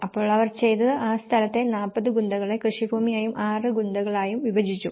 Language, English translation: Malayalam, So, what they did was they divided the land distribution in 40 Gunthas as a farmland and 6 Gunthas